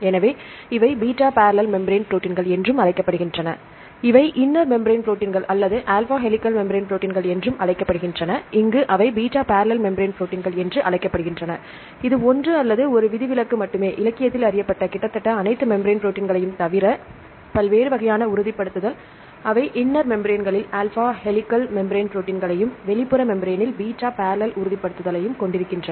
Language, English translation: Tamil, So, these proteins are called are also called beta barrel membrane proteins, they are called inner membrane proteins or alpha helical membrane proteins and here they are called the beta barrel membrane proteins, that is one just one or one exception which is having the different types of confirmation, other than that almost all the membrane proteins which are known in the literature, they are having alpha helical membrane proteins in the inner membrane and beta barrel confirmation in the outer membrane